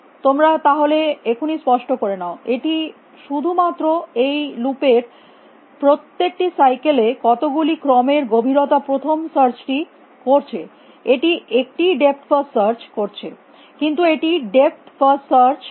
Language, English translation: Bengali, You should clarify this at this moment itself it is just doing a series of depth first search inside every cycle in this loop it is doing one depth first search, but it is doing depth first search